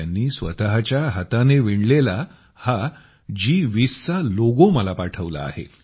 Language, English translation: Marathi, He has sent me this G20 logo woven with his own hands